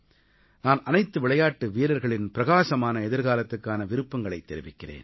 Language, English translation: Tamil, I wish all the players a bright future